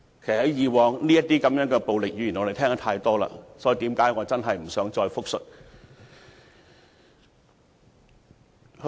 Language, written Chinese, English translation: Cantonese, 其實這類暴力語言，我們過往已聽得太多，我真的不想複述。, Actually we have heard too much verbal violence in the past . I really do not want to repeat it